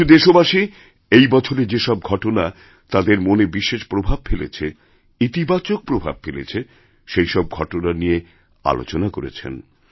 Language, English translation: Bengali, Some countrymen shared those incidents of this year which left a special impact on their minds, a very positive one at that